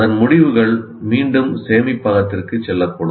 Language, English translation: Tamil, The results of that might be again go back to the storage